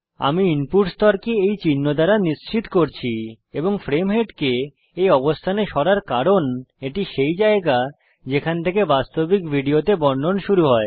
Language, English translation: Bengali, Ill set the input level to this mark and move the frame head to this position because this is from where the narration in the original video begins